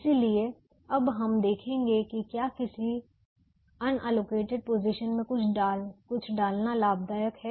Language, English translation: Hindi, we will now see whether it is profitable to put something in a unallocated position now